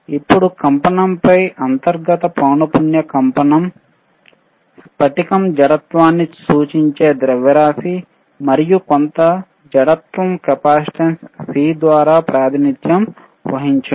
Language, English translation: Telugu, Now, on vibration, intervnal frequency vibration, mass if the crystal in is, if mass if crystal is indicating inertia and some stiffness represented by capacitance cC